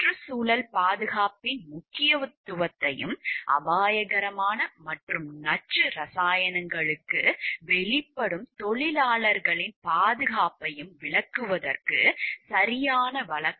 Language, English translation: Tamil, To illustrate the importance of environmental protection and the safety of workers exposed to hazardous and toxic chemicals